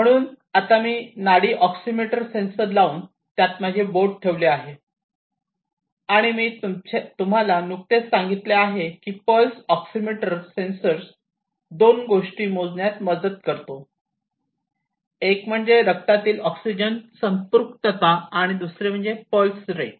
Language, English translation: Marathi, So, I have now put the pulse oximeter sensor put my finger into it and I just told you that the pulse oximeter sensor helps in measuring two things one is the oxygen saturation in the blood and the other one is the pulse rate